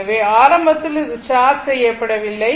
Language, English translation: Tamil, So, initial it was uncharged